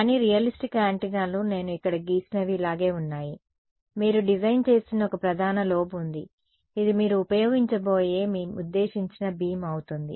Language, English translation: Telugu, But, realistic antennas are more like this what I have drawn over here, there is one main lobe that you are designing, which is going to be your intended beam that you will use